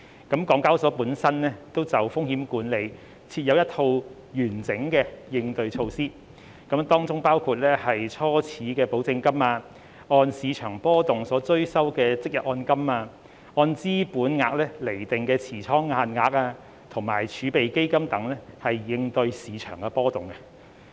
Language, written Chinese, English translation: Cantonese, 港交所本身就風險管理設有一套完整的應對措施，當中包括初始保證金、按市場波動所追收的即日按金、按資本額釐定的持倉限額及儲備基金等，以應對市場波動。, In response to market volatility HKEx has in place a comprehensive range of measures for risk management including initial margin intra - day margin calls based on market volatility capital based position limit reserve fund and so on